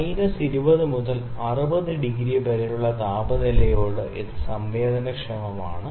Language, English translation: Malayalam, It sensitive to the temperature is from minus 20 degree to 60 degree centigrades